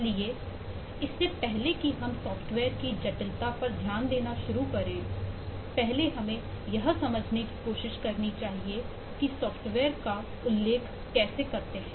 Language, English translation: Hindi, so before we start to take a look into the complexity of a software, let us eh first try to understand what you refer to: a software